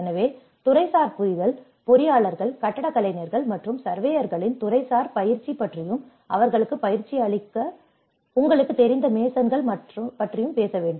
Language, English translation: Tamil, So, we also need to talk about the sectoral understanding, the sectoral training of engineers, architects, and surveyors also the masons you know how to train them